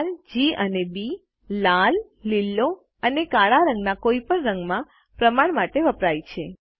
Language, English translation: Gujarati, R,G and B stands for the proportion of red, green and blue in any color